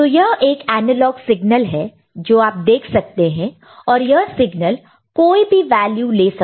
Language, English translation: Hindi, So, this is an analog signal what you see over here – right